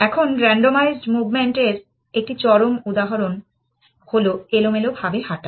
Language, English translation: Bengali, Now, the extreme example of randomized movement is a random walk